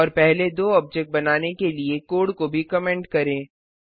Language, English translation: Hindi, Also comment the code for creating the first two objects